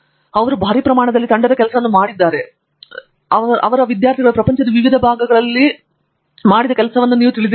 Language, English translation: Kannada, In fact, he is talking of teamwork in a grander scale, where he is talking of you know not just his group but, you know other people who worked before him, in various parts of the world